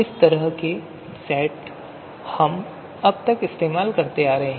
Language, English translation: Hindi, So that is the kind of sets that we have been using till now